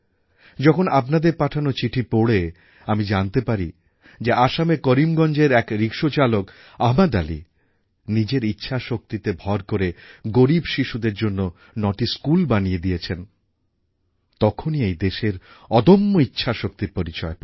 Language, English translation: Bengali, When I get to read in your letters how a rickshaw puller from Karimgunj in Assam, Ahmed Ali, has built nine schools for underprivileged children, I witness firsthand the indomitable willpower this country possesses